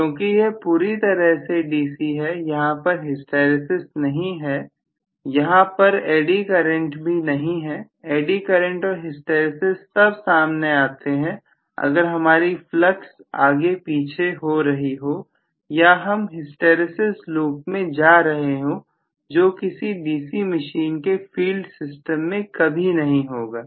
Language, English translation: Hindi, Because it is all DC completely there is no hysteresis, there is no eddy current, eddy current and hysteresis will show up only if I am going back and forth in terms of the flux or if I am traversing hysteresis loop which never happens in a DC machines field system